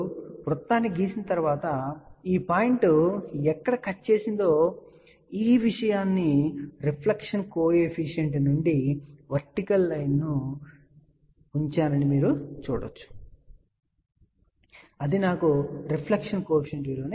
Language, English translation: Telugu, And once you draw the circle, wherever this point is cut, you can see that I have put this thing here vertical line from the reflection coefficient if you see that will give me the reflection coefficient value which is 0